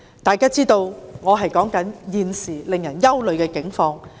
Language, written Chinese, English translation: Cantonese, 大家知道我所說的正是現時令人憂慮的境況。, Members know that I am exactly talking about the current worrying circumstances